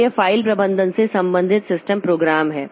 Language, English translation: Hindi, So these are file management related system program